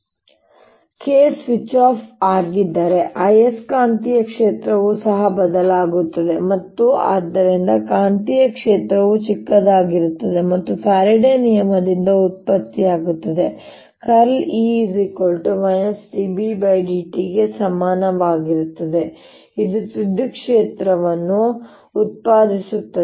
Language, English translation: Kannada, if k is being switched off, the magnetic field also changes and therefore the magnetic field is going down, is becoming smaller and it'll produce, by faradays law del cross, b del cross e equals minus d, b d t